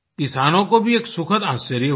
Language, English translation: Hindi, This was a pleasant surprise for the farmers